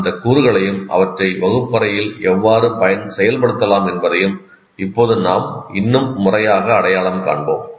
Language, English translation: Tamil, We will now more systematically kind of identify those components and how to implement in the classroom